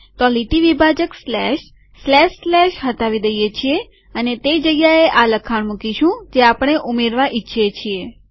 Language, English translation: Gujarati, So the line separator slash, slash slash is removed and in that place we introduce this text that we want to include